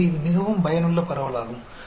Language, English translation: Tamil, So, this is also very useful distribution